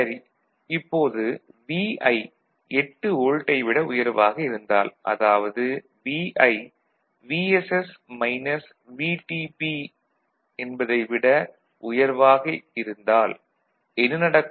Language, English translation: Tamil, So, Vi is greater than 8 volt (Vi to be greater than equal to VSS minus VT ) what is happening